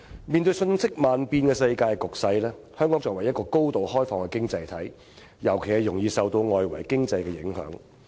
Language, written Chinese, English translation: Cantonese, 面對瞬息萬變的世界局勢，香港作為高度開放的經濟體，尤其容易受到外圍經濟的影響。, In the face of the ever - changing world situation Hong Kong as a highly open economy is particularly susceptible to changes in the external economic environment